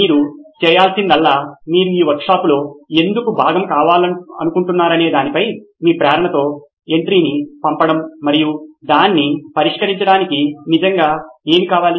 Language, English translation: Telugu, All you need to do is send in an entry with your motivation on why you want to be part of this workshop and what is it that really want to be solving it